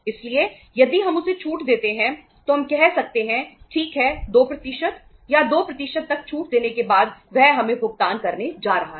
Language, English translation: Hindi, So if we give him the discount so we can say okay after giving discount for 2% or by 2% or up to 2% he is going to make the payment to us